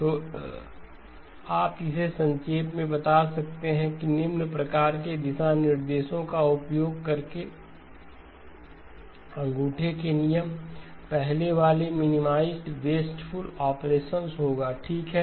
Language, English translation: Hindi, So you can summarize this as in using the following sort of guidelines, rules of thumb, the first one would be minimized wasteful operations okay